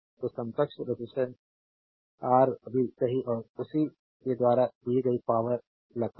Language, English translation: Hindi, So, find the equivalent resistance Rab right and the power deliveredby the same right